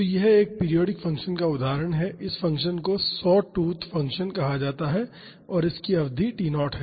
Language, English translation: Hindi, So, this is an example of a periodic function, this function is called sawtooth function and this has a period T naught